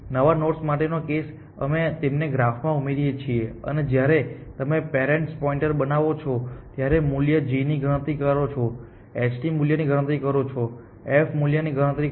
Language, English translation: Gujarati, One case for new nodes, we simply add them to the graph, and create the parent pointer, compute the g value, compute the h value, compute the f value and we are done